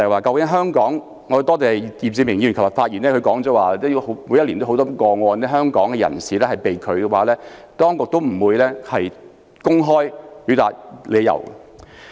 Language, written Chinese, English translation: Cantonese, 我要多謝易志明議員，他昨天發言時表示，每一年都有很多個案，很多人在香港被拒入境，當局也不會公開理由。, I have to thank Mr Frankie YICK who said yesterday that every year there were many cases in which people were denied entry to Hong Kong but the authorities did not make public the reasons